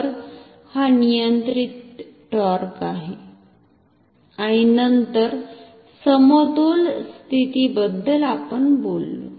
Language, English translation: Marathi, So, this is controlling torque and then we have talked about the equilibrium condition, what is an equilibrium condition